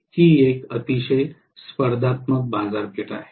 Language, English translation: Marathi, It is a very competitive market